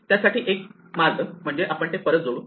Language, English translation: Marathi, So, one way is that we just add these back